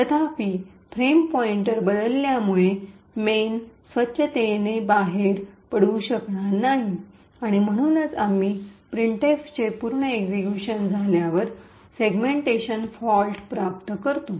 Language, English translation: Marathi, However since the frame pointer has been modified the main will not be able to exit cleanly and that is why we obtain a segmentation fault after the printf completes execution